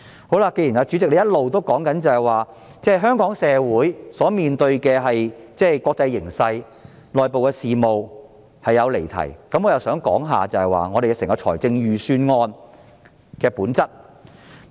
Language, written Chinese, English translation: Cantonese, 既然主席一直說我談及香港社會面對的國際形勢及內部事務是離題，我想談談預算案的本質。, President as you keep saying that I have digressed from the subject when I talk about the international situation and the internal affairs of our society I would like to talk about the nature of the Budget